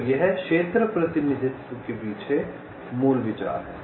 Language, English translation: Hindi, ok, so this is the basic idea behind zone representation